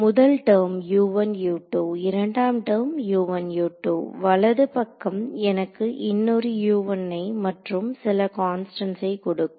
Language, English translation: Tamil, First term U 1 U 2, second term U 1 U 2, right hand side is going to give me one more U 1 and some constants right